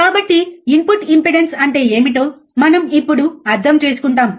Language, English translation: Telugu, So, we will we understand what is input impedance, right